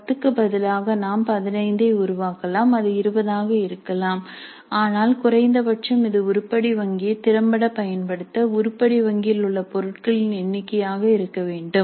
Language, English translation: Tamil, Instead of 10 we could create 15 it could be 20 but at least this much should be the number of items in the item bank in order to make effective use of the item bank